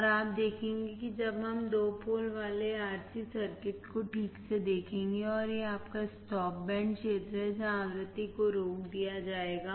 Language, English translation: Hindi, And you will we will see when we see the two pole RC circuit all right, and this is your stop band region where the frequency would be stopped